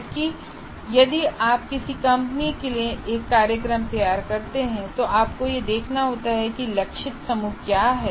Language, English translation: Hindi, Whereas if you try to design a program for a particular company, you will have to look at what the target group is